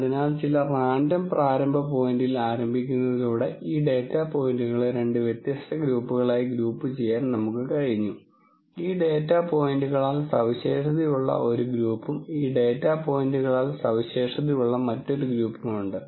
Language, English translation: Malayalam, So, by starting at some random initial point, we have been able to group these data points into two different groups, one group which is characterized by all these data points the other group which is characterized by these data points